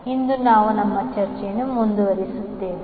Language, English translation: Kannada, So we will just continue our discussion